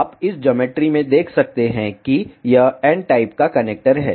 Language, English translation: Hindi, You can see in this geometry this is n type of connector